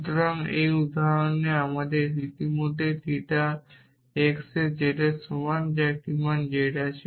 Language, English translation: Bengali, So, in this example we already have a value z in theta x equal to z